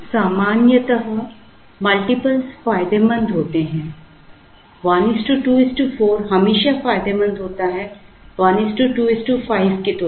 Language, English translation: Hindi, Generally multiples are advantageous 1 is to 2 is to 4 is always advantageous compared to 1 is to 2 is to 5